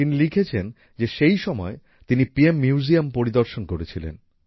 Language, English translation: Bengali, She writes that during this, she took time out to visit the PM Museum